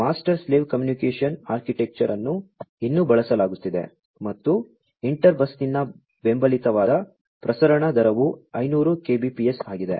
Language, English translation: Kannada, Master slave communication architecture like, before is still being used and the transmission rate that is supported by inter bus is 500 kbps